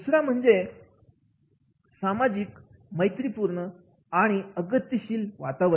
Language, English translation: Marathi, Second is socially friendly and welcoming atmosphere